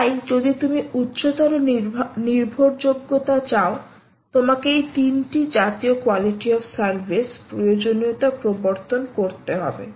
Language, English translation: Bengali, so if you want and at higher you want reliability, you may have to introduce these three, this kind of a quality of service requirement